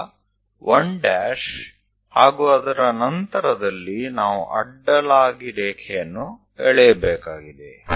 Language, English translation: Kannada, Now, at 1 prime onwards, we have to draw horizontal